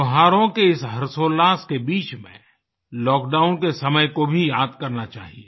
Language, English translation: Hindi, Amid the gaiety of festivities, we should spare a thought for the lockdown period